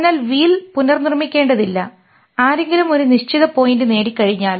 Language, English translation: Malayalam, So we do not have to reinvent the wheel once somebody has achieved a certain point